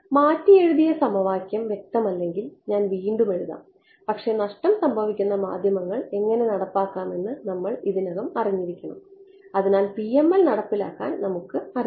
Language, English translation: Malayalam, I will write down the updated equation again if its not clear, but we already know how to implement lossy media therefore, we already know to implement PML